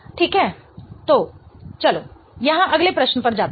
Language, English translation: Hindi, Okay, so let's go to the next question here